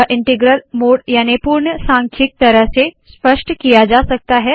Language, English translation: Hindi, This can be illustrated with the integral mode